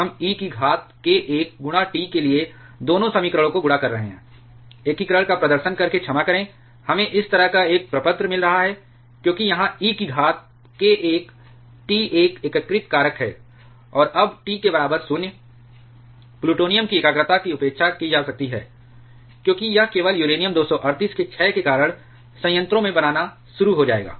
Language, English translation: Hindi, We are multiplying both equation to e to the power k 1 into T, sorry by performing the integration, we are getting a form like this because here e to the power k 1 T is a integrating factor; and now at T equal to 0, concentration of plutonium can be neglected, because it will start forming in the reactor only because of the decay of uranium 238